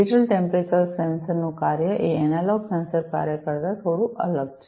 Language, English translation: Gujarati, The functioning of a digital temperature sensor is bit different from the way, the analog sensors work